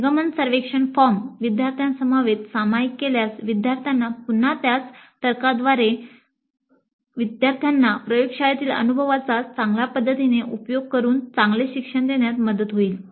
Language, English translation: Marathi, Sharing the exit survey form upfront with students also may help in better learning by the students again by the same logic by exposing the students to better way of utilizing the laboratory experience